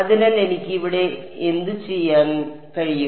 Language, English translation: Malayalam, So, what can I do over here